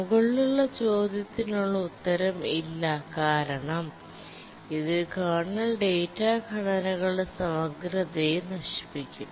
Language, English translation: Malayalam, The answer is no because that will destroy the integrity of the kernel data structures